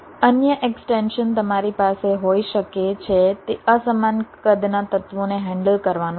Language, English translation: Gujarati, the another extension you can have is to handle unequal sized elements, like so far